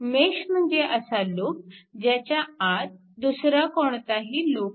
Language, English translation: Marathi, If mesh is a loop it does not contain any other loop within it right